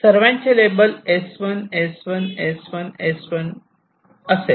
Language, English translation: Marathi, these all will be labeled as s one, s one, s one, s one, s one and s one